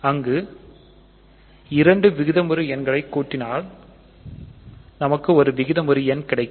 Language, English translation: Tamil, So, if you add two rational numbers you get a rational number